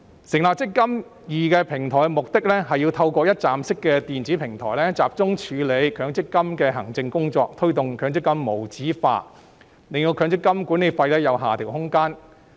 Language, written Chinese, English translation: Cantonese, 成立"積金易"平台的目的，是要透過一站式電子平台集中處理強積金的行政工作，推動強積金無紙化，令強積金管理費有下調空間。, The purpose of setting up the eMPF Platform is to centralize MPF scheme administration under a one - stop electronic platform and promote paperless MPF transactions to create room for the reduction of MPF management fees